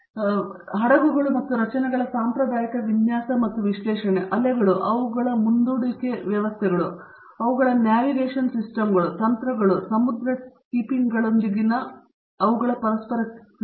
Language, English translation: Kannada, So, there is the traditional design and analysis of ships and structures, their interaction with the waves, their propulsion systems, their navigation systems, the manoeuvring, the sea keeping